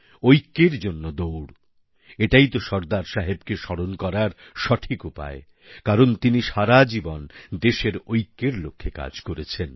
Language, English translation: Bengali, This is the best way to remember SardarSaheb, because he worked for the unity of our nation throughout his lifetime